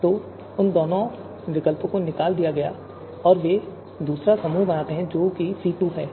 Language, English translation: Hindi, So both of them have been extracted and they form the second group that is C2